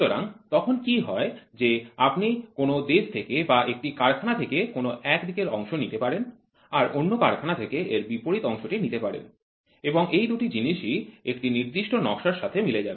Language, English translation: Bengali, So, then what happens is you can take a male part from one country or from one factory a female part from some other factory and both these things match to a particular drawing